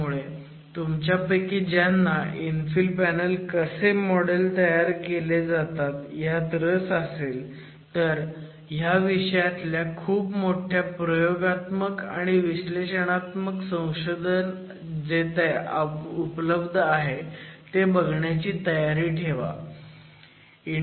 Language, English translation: Marathi, So, those of you are interested in looking at understanding how infill panels can be modeled, you should be prepared to look at a very large body of research in this subject, both experimental and analytical